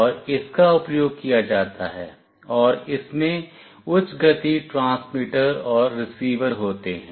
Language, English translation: Hindi, And this is used and consists of high speed transmitter and receiver